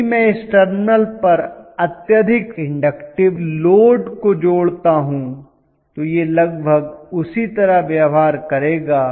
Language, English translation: Hindi, If I connect the highly inductive load at this terminal it will almost behave the same way